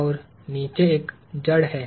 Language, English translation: Hindi, And there is a root structure underneath